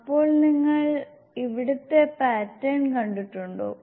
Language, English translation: Malayalam, So have you seen the pattern here